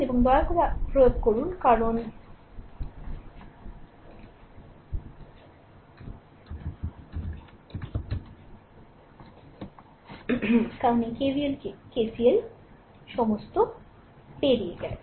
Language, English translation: Bengali, Now you please apply because all this KVL, KCL you have gone through right